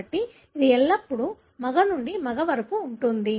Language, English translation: Telugu, So, it would be always from a male to male to male